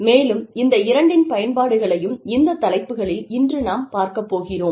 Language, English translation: Tamil, And, I found applications of both of these, in the topics, that we are going to talk about, today